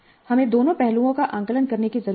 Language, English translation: Hindi, We need to assess both aspects